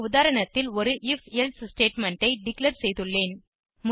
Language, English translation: Tamil, I have declared an if elsif statement in this example